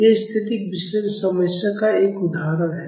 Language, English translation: Hindi, This is an example of a static analysis problem